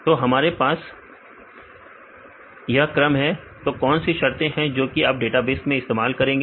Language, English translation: Hindi, So, we have this order what are the terms you use in your database